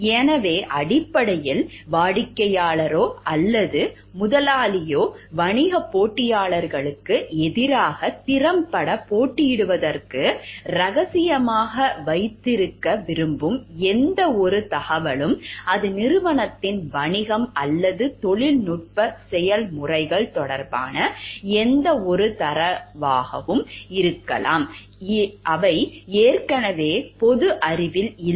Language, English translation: Tamil, So, basically if it is a, it is any information that the client or the employer would like to have kept secret to compete effectively against business rivals, it could be any data concerning the company’s business or technical processes that are not already public knowledge